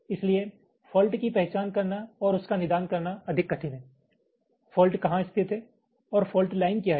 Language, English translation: Hindi, so it is much more difficult to identify and diagnose the fault, where the fault is located and what is the fault line, right